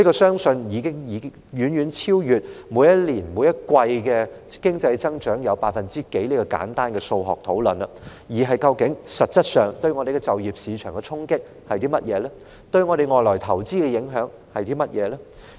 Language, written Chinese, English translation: Cantonese, 相信有關的影響，已遠超每年、每季經濟增長率的簡單數學問題，而是實質上，我們的就業市場會面對怎樣的衝擊，在香港投資的外國資金會受到甚麼影響。, It is believed that the impact has gone far beyond the simple mathematics of annual or quarterly economic growth rates and essentially remained a question mark on our job market and the foreign capital investment in Hong Kong